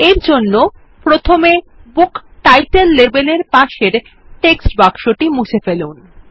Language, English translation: Bengali, For this, let us first remove the text box adjacent to the Book Title label